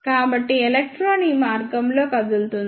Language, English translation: Telugu, So, electron will move in this path